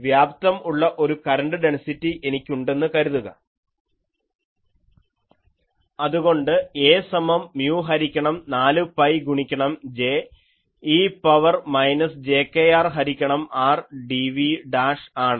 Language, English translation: Malayalam, So, if all these components are present; I can easily write that A will be mu by 4 pi J e to the power minus jkr by r dv dash